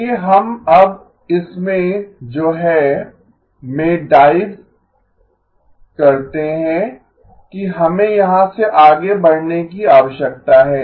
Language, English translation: Hindi, Let us now dive into what is it that we are going to need going forward from here